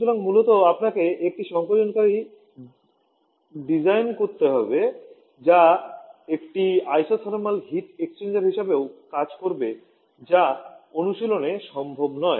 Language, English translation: Bengali, So basically have to design a compressor which will also act as an isothermal heat exchanger which is not possible in practice